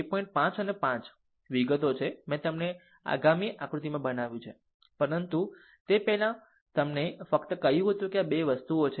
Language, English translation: Gujarati, 5 and 5 details, I made it in the next diagram, but ah before that I just told you that this is the thing